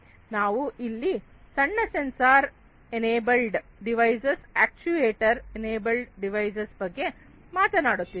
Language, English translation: Kannada, We are talking about small sensor enable devices small actuator enabled devices